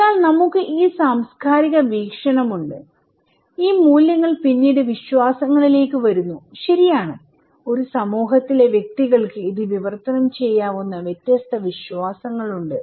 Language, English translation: Malayalam, So, we have this cultural perspective and these values then come into beliefs, okay and individuals in a society have different beliefs that translate this one